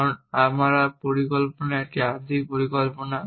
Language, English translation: Bengali, Now I have said that my plan is a partial plan